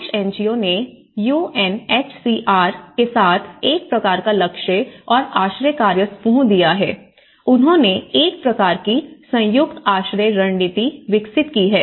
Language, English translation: Hindi, And the Irish NGO, they have given a kind of target working group and the shelter working group along with the Irish NGO goal with coordination with the UNHCR, they developed a kind of joint shelter strategy